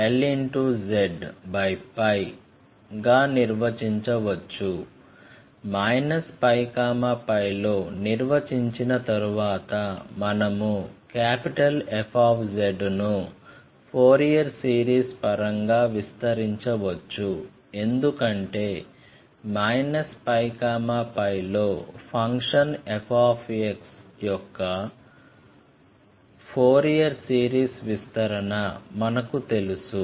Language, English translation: Telugu, Once it is defined in minus pi to pi, so I can expand capital F z in terms of Fourier series because I know Fourier series of a function f x in minus pi to pi